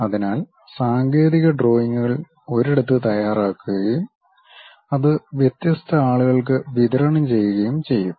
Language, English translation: Malayalam, So, technical drawings will be prepared at one place and that will be supplied to different teams